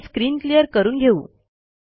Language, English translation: Marathi, Let us clear the screen